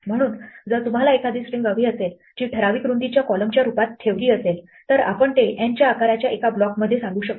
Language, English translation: Marathi, So if you want to have a string which is positioned as a column of certain width then we can say that center it in a block of size n